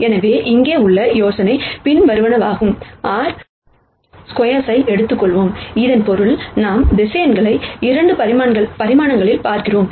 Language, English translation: Tamil, So, the idea here is the following, let us take R squared which basically means that, we are looking at vectors in 2 dimensions